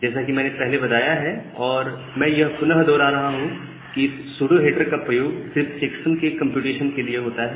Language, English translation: Hindi, But as I have mentioned earlier again repeatedly I am mentioning that this pseudo header is just used only for the computation of the checksum